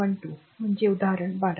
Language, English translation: Marathi, 12 that is example 12